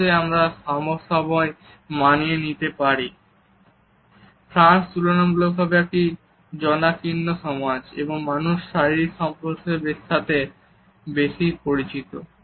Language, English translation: Bengali, France is a relatively crowded society and the people experience greater physical contact